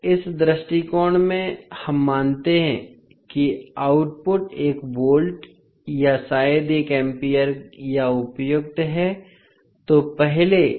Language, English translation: Hindi, In this approach we assume that output is one volt or maybe one ampere or as appropriate